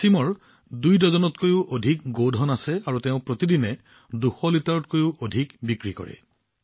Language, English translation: Assamese, Wasim has more than two dozen animals and he sells more than two hundred liters of milk every day